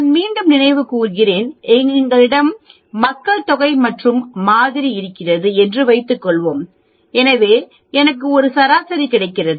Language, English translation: Tamil, Let me again recall, suppose I have a population and I have sample, so that means I collect a few pieces from the population and I get a mean